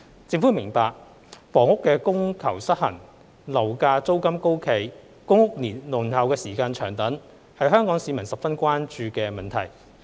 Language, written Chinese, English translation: Cantonese, 政府明白，房屋供求失衡、樓價租金高企、公屋輪候時間長等，是香港市民十分關注的問題。, The Government appreciates that the imbalance between housing supply and demand high residential property prices and rents and long waiting time for public rental housing PRH units etc . are issues of great concern to the people of Hong Kong